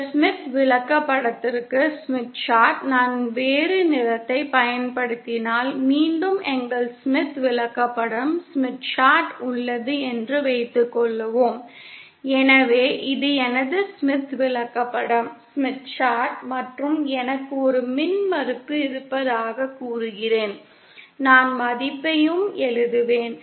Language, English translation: Tamil, Now suppose again we have our Smith Chart if I use a different color for this Smith ChartÉso this is my Smith Chart and say I have an impedance say IÕll write the value also